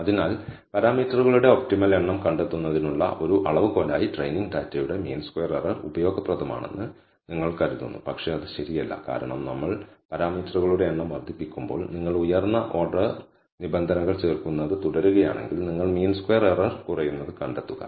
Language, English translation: Malayalam, So, the mean squared error of the training data you might think is useful as a measure for finding the optimal number of parameters, but that is not true because as we increase the number of parameters, if you keep adding higher order terms, you will find the mean squared error decreases